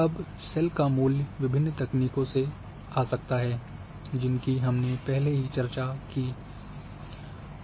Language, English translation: Hindi, Now the value can come from variety of techniques which we have discussed